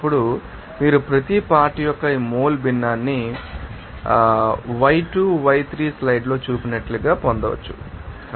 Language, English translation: Telugu, Then you can get this mole fraction of each component as y2, y3 he are shown in the slide